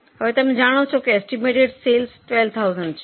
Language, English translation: Gujarati, Now you know that estimated sales are 12,000